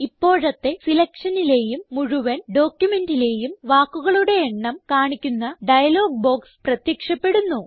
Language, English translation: Malayalam, A dialog box appears which shows you the word count of current selection and the whole document as well